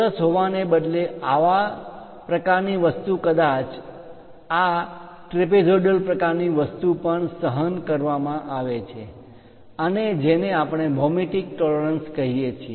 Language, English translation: Gujarati, Such kind of thing instead of having a square perhaps this trapezoidal kind of thing is also tolerated and that is what we call geometric tolerances